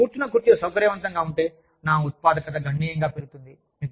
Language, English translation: Telugu, If the chair, that i sit on, is comfortable, my productivity will go up, significantly